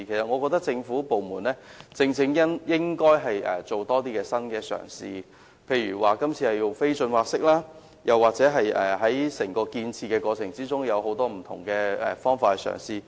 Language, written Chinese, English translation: Cantonese, 我認為政府部門應多作新嘗試，例如這次的不浚挖式填海，又或在整個建設過程中採用各種不同方法。, As I see it government departments should make more new endeavours such as the carrying out of non - dredged reclamation this time or the adoption of different methods throughout the whole construction process